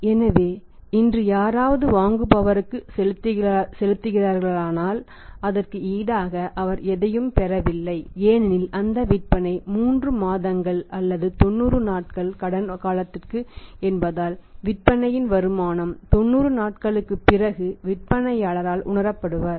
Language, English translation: Tamil, So, if somebody is selling today he is selling to the buyer but he is not getting anything in return to that because those sales are for a credit period of stay 3 months 90 days it means sale proceeds will be realised to the seller back after 90 days around the 90th day earliest is the 90th day not before that